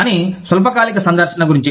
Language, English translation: Telugu, But, what about short term visit